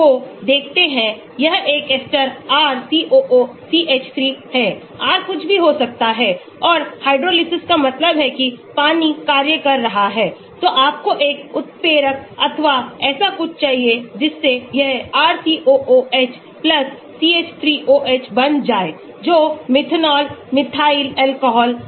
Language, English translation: Hindi, this is an ester RCOOCH3, R could be anything and hydrolysis means water is acting, so you need a catalyst an enzyme or something like that, so it forms RCOOH+CH3OH that is the methanol, methyl alcohol